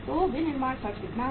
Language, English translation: Hindi, So manufacturing expenses are how much